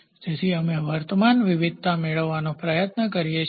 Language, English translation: Gujarati, So, that we try to get the current variation